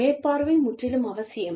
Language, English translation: Tamil, Supervision is absolutely essential